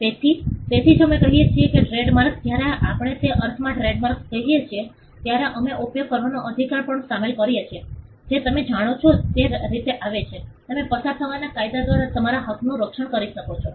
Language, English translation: Gujarati, So, that is why we say that trademarks, when we say trademarks in that sense, we also include the right to use which comes by way of you know, you can protect your right by way of the law of passing of